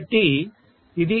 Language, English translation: Telugu, It is 2